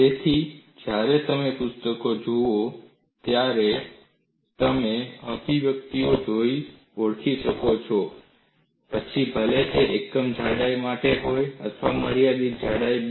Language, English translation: Gujarati, So, when you look at the books, you should be able to recognize by looking at the expressions, whether it is derived for unit thickness or for a finite thickness b